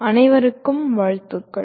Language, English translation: Tamil, Greetings to all of you